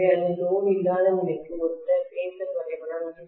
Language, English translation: Tamil, So this is the phasor diagram corresponding to no load condition